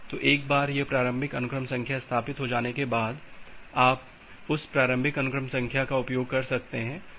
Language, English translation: Hindi, So once this initial sequence number has been established then you can use that initial sequence number